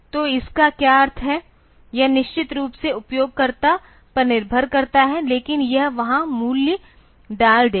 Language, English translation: Hindi, So, that what is the meaning of it is up to the user definitely, but it will put the value there